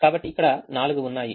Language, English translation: Telugu, so there are four